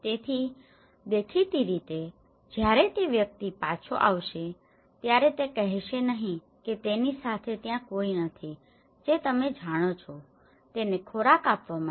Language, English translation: Gujarati, So obviously, when the person comes back he will not say that no one is there with him you know, to give him food